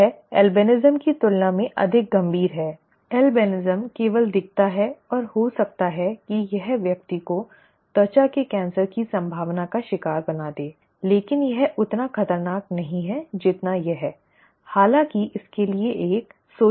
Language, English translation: Hindi, This is more serious than albinism, albinism is merely looks and maybe it it makes the person prone to cancer and so on, skin cancer but it is not as dangerous as this, okay, but it has a social angle to it so that could also be considered in point putting off